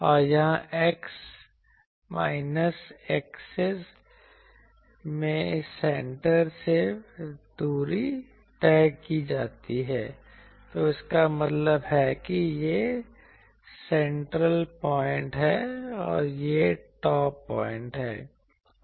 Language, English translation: Hindi, And here in the x axis is plotted the distance from the center, so that means this is the central point, and this is the top point